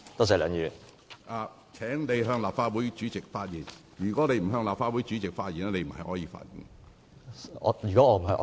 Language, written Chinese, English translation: Cantonese, 請你向立法會主席發言。如果你不是向立法會主席發言，你不可以發言。, Please address your remarks to the President of the Legislative Council otherwise you cannot speak